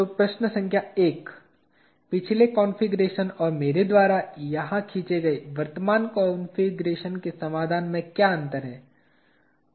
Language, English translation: Hindi, the solution between the previous configuration and the current one that I have drawn here